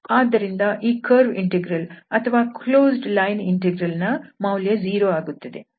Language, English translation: Kannada, So this curve integral this closed line integral is 0